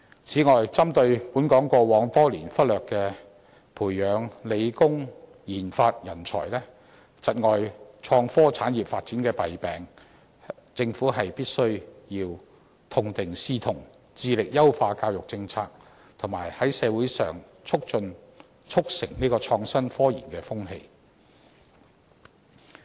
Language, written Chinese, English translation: Cantonese, 此外，針對本港過往多年忽略培養理、工研發人才，窒礙創科產業發展的弊病，政府必須痛定思痛，致力優化教育政策，以及在社會上促成創新科研的風氣。, Furthermore Hong Kong has for years failed to groom research and development talents in science and engineering thus stifling the development of innovation and technology industry . In view of this the Government must examine its weaknesses strive to improve education policy and promote an atmosphere conducive to innovative and scientific research